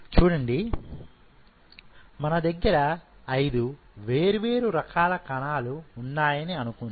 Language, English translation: Telugu, Now, suppose you know these you have these 5 different kind of cells